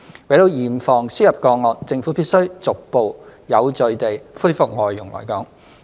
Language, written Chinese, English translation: Cantonese, 為了嚴防輸入個案，政府必須逐步有序地恢復外傭來港。, To prevent imported cases the Government must resume the admission of FDHs to Hong Kong in a gradual and orderly manner